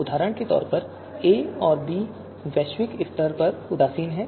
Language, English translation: Hindi, For example, a and b are globally indifferent